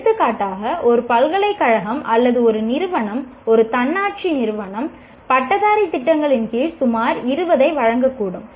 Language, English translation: Tamil, For example, a university or an institution, an autonomous institution may be offering some 20 undergraduate programs